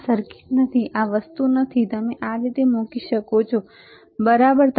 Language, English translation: Gujarati, This is not a circuit; this is not this thing, that you can place it like this, right